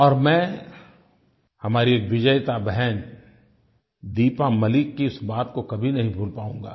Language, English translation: Hindi, And, I shall never be able to forget what our victorious sister Deepa Malik had to say